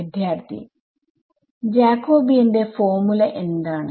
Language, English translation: Malayalam, Sir, what is the formula for Jacobian